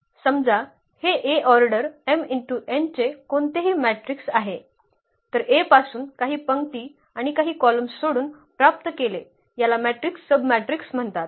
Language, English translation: Marathi, Suppose, this A is any matrix of order m cross n, then a matrix obtained by leaving some rows and some columns from A is called a submatrix